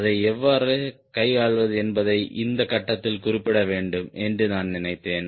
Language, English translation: Tamil, i thought i must mention at this point how to handle that